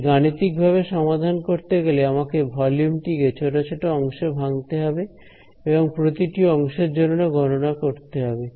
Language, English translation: Bengali, Then to numerically solve it, I have to break up the volume into small small pieces and do some calculation over each part of the volume